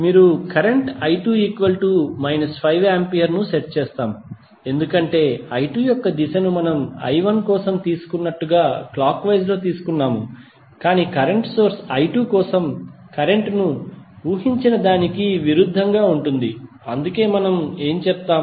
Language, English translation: Telugu, You will set current i 2 is equal to minus 5 ampere because the direction of i 2 we have taken as clockwise as we have taken for i 1 but the current source is opposite to what we have assume the current for i 2, so that is why what we will say